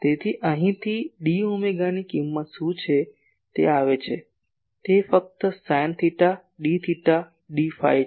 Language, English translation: Gujarati, So, what is the value of d omega from here it comes , it is simply sin theta , d theta , d phi